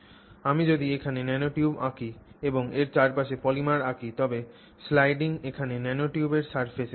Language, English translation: Bengali, So, if I draw the nanotube here and I draw the polymer around it, then the sliding is happening here at the surface of the nanotube